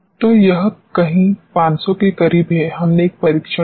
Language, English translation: Hindi, So, this is somewhere very close to 500 we did one test